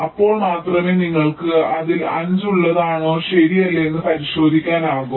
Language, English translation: Malayalam, then only you can check whether it is within five or not right